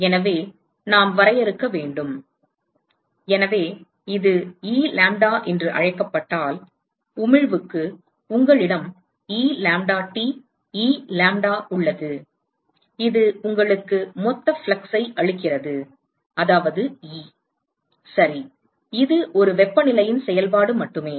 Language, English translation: Tamil, So, we need to define, so, if this is called as let us say E lambda, then for emission, then you have E lambdaT, E lambda that gives you the total flux, that is E, ok and this is only a function of temperature